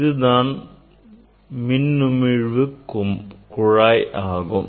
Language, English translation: Tamil, now, this is the discharge tube